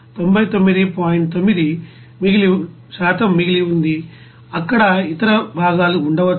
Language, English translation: Telugu, 9% remaining maybe other components there